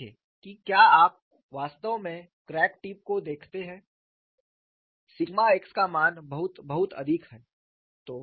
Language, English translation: Hindi, See if you look at really at the crack tip, the value of sigma x is very high